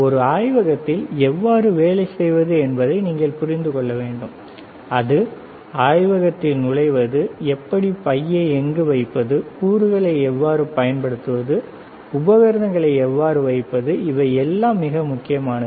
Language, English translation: Tamil, You should understand how to work in a laboratory, and that is called good laboratory practices how to enter the lab, where to keep the bag, how to use the components, how to place the equipment, that is how it is very important all, right